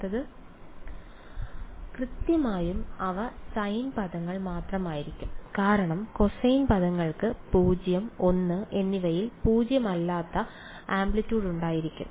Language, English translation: Malayalam, Exactly they will only be sine terms because cosine terms will have non zero amplitude at 0 and l